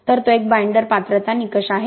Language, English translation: Marathi, So that is a binder qualification criteria